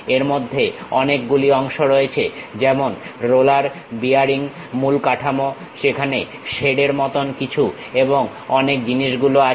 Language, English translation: Bengali, It includes many parts like rollers, bearings, main structure, there is something like a shade and many things